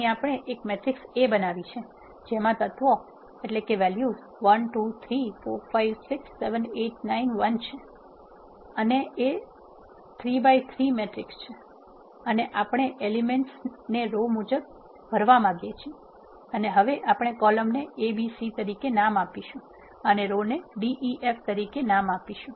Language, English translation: Gujarati, Here we have created a matrix A which are having the elements 1 2 3 4 5 6 8 9 1 and it is a 3 by 3 matrix and we want to fill the elements row wise and we can now name the columns as a b c and name the rows as d e f